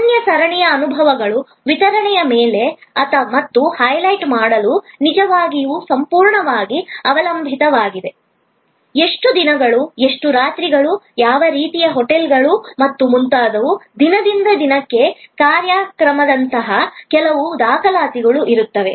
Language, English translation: Kannada, Really depended totally on delivery of unique series of experiences and to highlight, there will be some documentation like how many days, how many nights, which kind of hotels and so on, program day by day